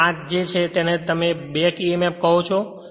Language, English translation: Gujarati, So, this is actually your what you call back emf